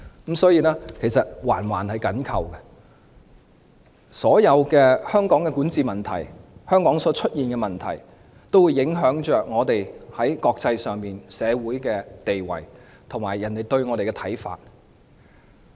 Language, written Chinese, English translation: Cantonese, 各方面環環緊扣，香港所有的管治問題，香港所出現的各種問題，都會影響我們在國際社會上的地位及別人對我們的看法。, Things are closely related to one another . All governance problems in Hong Kong and various problems which have occurred in Hong Kong will affect our status in the international world and the opinion people have on us